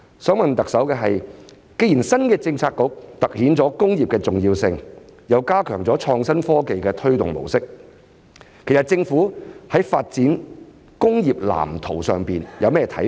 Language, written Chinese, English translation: Cantonese, 想問特首的是，既然新的政策局凸顯了工業的重要性，又加強了創新科技的推動模式，其實政府在發展工業藍圖上有甚麼看法？, What I would like to ask the Chief Executive is Since the new Policy Bureau has highlighted the importance of industries and enhanced the mode of promoting innovation and technology what is the Governments view on the blueprint for industrial development?